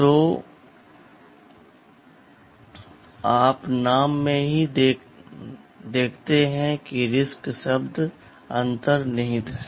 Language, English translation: Hindi, So, you see in the name itself the word RISC is embedded